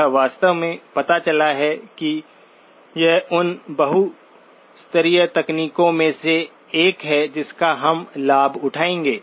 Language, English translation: Hindi, This actually turns out that this is one of the multirate techniques that we will take advantage of